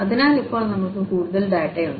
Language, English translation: Malayalam, So, now we have more data